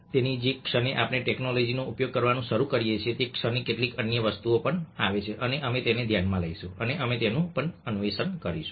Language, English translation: Gujarati, so the moment we start using technologies, certain other things also come in and we will take all away, will take cognition to those and we will explore them as well